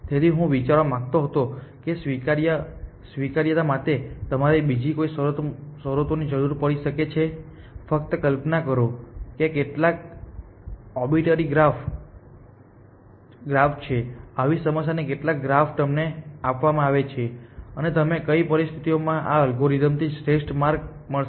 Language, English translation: Gujarati, So, I wanted to think of what other conditions you can might require for admissibility, just imagine that this is some obituary graphs such problem some graph is given to you and under what conditions will you, will this algorithm find an optimal path